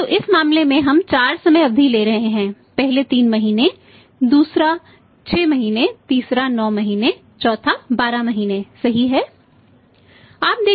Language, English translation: Hindi, So, in this case we are taking the 4 time period first 3 month 2nd is 6 months third is 9 months fourth is 12 months right